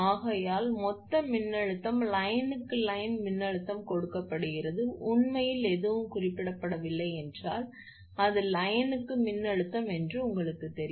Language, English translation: Tamil, Therefore, total voltage is given that line to line voltage actually if nothing is mention means it is line to line voltage you know that